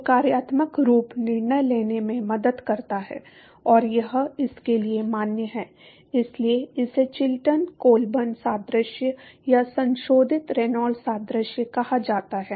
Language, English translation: Hindi, And this is valid forů So, this is what is called the Chilton Colburn analogy or modified Reynolds analogy